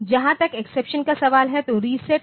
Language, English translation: Hindi, As far as the exceptions are concerned so, reset is there